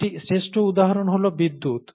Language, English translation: Bengali, A classic example is electricity